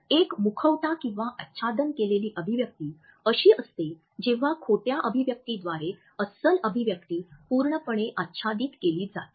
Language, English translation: Marathi, A masked expression is when a genuine expression is completely masked by a falsified expression